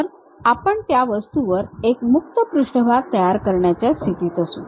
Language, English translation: Marathi, So, that we will be in a position to construct, a free surface on that object